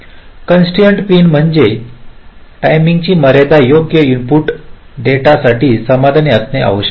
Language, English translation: Marathi, ok, constrained pin means such timing constrained must have to be satisfied for the input data